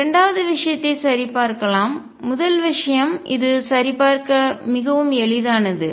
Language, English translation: Tamil, Let us check the second case; first case is very easy to check this one